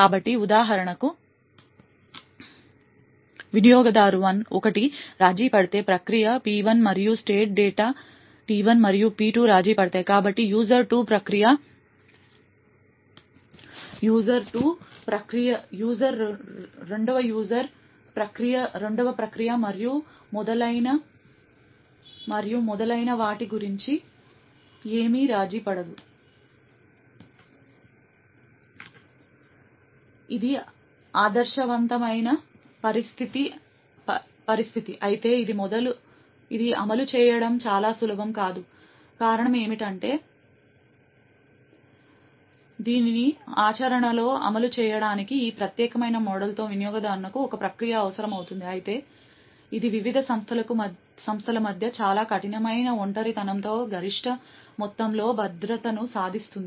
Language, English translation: Telugu, So for example over here if U1 is compromised then the process P1 and the state data T1 and P2 is compromised, so nothing about the user 2, process 2 and so on is actually compromised, while this is the ideal situation, it is not very easy to implement, the reason being is that in order to implement this in practice we would require one process per user essentially with this particular model though it achieves maximum amount of security with the very strict isolation between the various entities